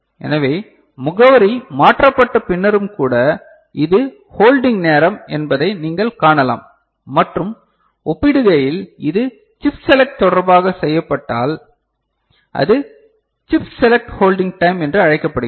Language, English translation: Tamil, So, even after the address is changed so, this is the time that you see this is the hold time and in comparison if it is done with respect to chip select then it is called chip select hold time